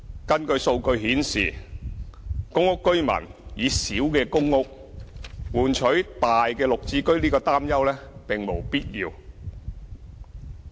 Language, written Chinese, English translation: Cantonese, 根據數據顯示，公屋居民以小的公屋換取大的"綠置居"的擔憂並無必要。, According to data there is no cause for worry about PRH tenants using their small PRH units in exchange for a big GHS unit